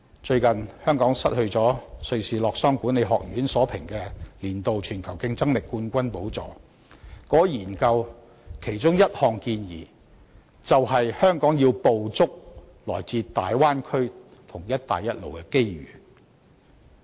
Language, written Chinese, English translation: Cantonese, 最近香港失去了瑞士洛桑國際管理發展學院所評，年度全球競爭力冠軍的寶座，而該項研究的其中一項建議，正是香港必須捕捉來自大灣區和"一帶一路"的機遇。, According to the ranking published recently by the International Institute for Management Development Hong Kong has lost its title of the worlds most competitive economy for the year and it is recommended in the report that Hong Kong must seize the development opportunities brought about by the Bay Area and One Belt One Road